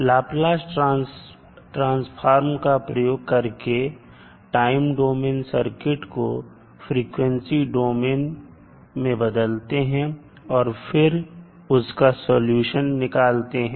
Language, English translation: Hindi, Now, Laplace transform is used to transform the circuit from the time domain to the frequency domain and obtain the solution